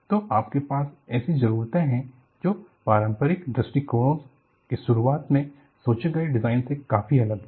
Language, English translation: Hindi, So, you have demands, that are far different from what was initially thought of in conventional design approaches